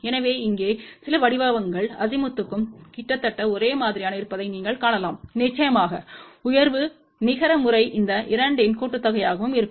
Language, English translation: Tamil, So, you can see that here the some patterns are almost identical for Azimuth as well as Elevation of course, the net pattern will be sum of these 2 also ok